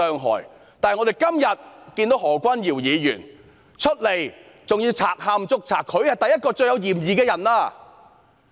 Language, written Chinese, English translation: Cantonese, 可是，今天何君堯議員卻賊喊捉賊，他便是最有嫌疑的人。, However Dr Junius HO is playing the trick of a thief crying stop thief today and he is the top suspect